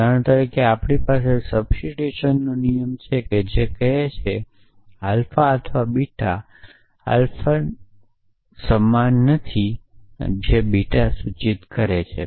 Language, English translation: Gujarati, So, for example, we have this rule of substitution which says that not alpha or beta is equal to alpha implies beta